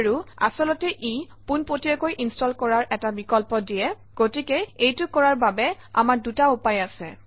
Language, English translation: Assamese, And actually this gives an option to install it directly, so we have two ways of doing it